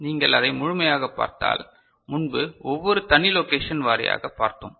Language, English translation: Tamil, If you look at the whole of it, earlier we are looking at each individual location wise